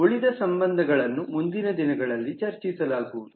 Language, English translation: Kannada, the remaining relationships will be discussed in the next module